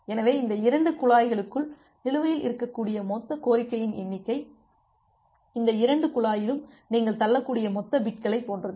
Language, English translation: Tamil, So, the total number of request that can be outstanding within this two pipe is like the total amount of bits that you can push in this two pipe